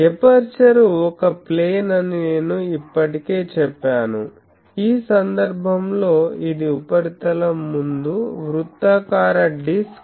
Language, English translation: Telugu, I already said that the aperture is a plane in this case which is circular disk, just in front of the surface